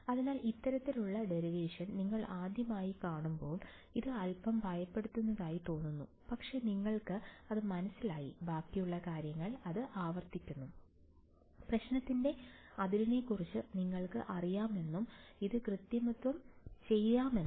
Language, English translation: Malayalam, So, the first time you see this kind of our derivation its seem to little intimidating, but you get the hang of it, rest of the stuff is just repeating this in you know being clever about the boundary of the problem and just doing this manipulation